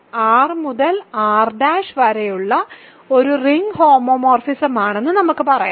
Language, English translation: Malayalam, Let us say R to R prime is a ring homomorphism